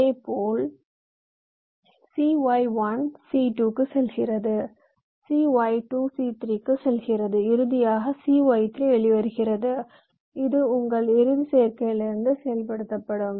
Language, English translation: Tamil, similarly, c y one goes to c two, c y two goes to c three and finally c y three that comes out